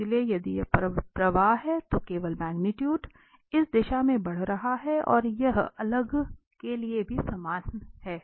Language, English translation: Hindi, So, if this is the flow just the magnitude is increasing in this direction and it is the same for the next as well